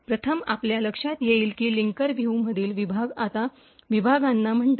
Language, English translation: Marathi, First, you would notice that the sections in the linker view now called segments